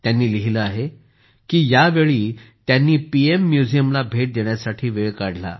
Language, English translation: Marathi, She writes that during this, she took time out to visit the PM Museum